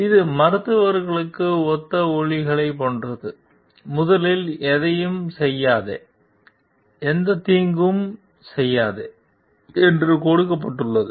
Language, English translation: Tamil, It is like sounds similar like for physicians, it is given don t do any first it is, do not do any harm